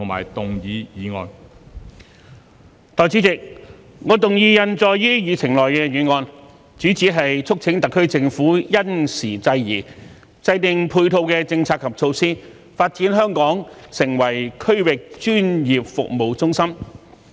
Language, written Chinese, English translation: Cantonese, 代理主席，我動議印載於議程內的議案，主旨是促請特區政府因時制宜，制訂配套的政策及措施，發展香港成為區域專業服務中心。, Deputy President I move that the motion as printed on the Agenda be passed . The motion seeks to urge the SAR Government to act appropriately having regard to the circumstances and formulate complementary policies and measures to develop Hong Kong into a regional professional services hub